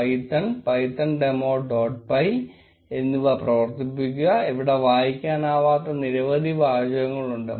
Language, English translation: Malayalam, Run python, python demo dot py, and there is a bunch of texts this text is pretty unreadable